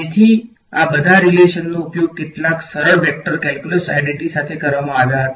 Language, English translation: Gujarati, So, all of these relations were used along with some simple vector calculus identities right